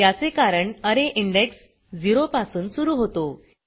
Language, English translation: Marathi, This is because array index starts from 0